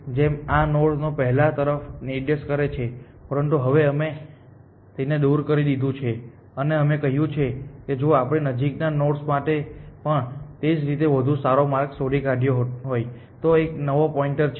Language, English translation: Gujarati, Originally this node first pointing to this, but now we have removed this and we have said this is a new pointer if we have found a better path likewise for close nodes essentially